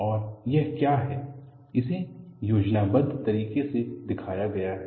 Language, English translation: Hindi, And this is what is schematically shown